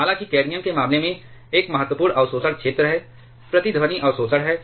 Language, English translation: Hindi, However, in case of cadmium there is a significant absorption zone, resonance absorption that is